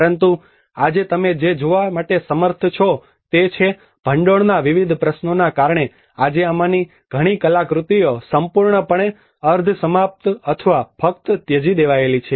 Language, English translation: Gujarati, But today what you are able to see is, because of various other funding issues today many of these artifacts are completely half finished or just lying abandoned